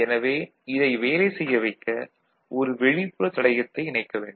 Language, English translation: Tamil, So, to make it work we need to connect an external resistance to it, ok